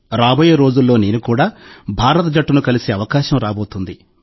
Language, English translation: Telugu, In the coming days, I will also get an opportunity to meet the Indian team